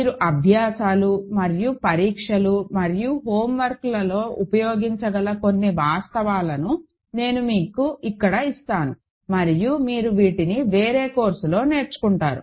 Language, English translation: Telugu, So, I will give you a couple of facts here which you may use in exercises and exams and homeworks and you will learn these in a different course